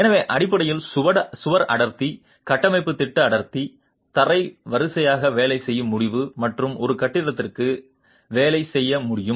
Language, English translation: Tamil, So, basically wall density, structural plan density can be worked out floor wise and can be worked out for a building